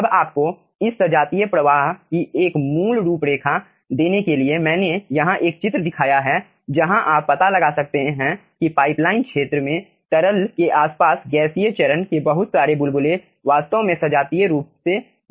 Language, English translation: Hindi, now to give you a basic outline of this homogeneous flow, here i have shown a figure where you can find out that lots of bubbles of gaseous phase are actually homogeneously dispersed in the pipeline in the liquid vicinity